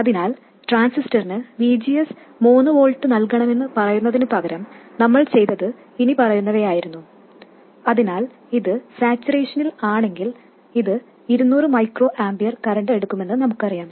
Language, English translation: Malayalam, Instead of saying that the transistor should be provided with a VGS of 3 volts, so we know that if it is in saturation, it would draw a current of 200 microampiers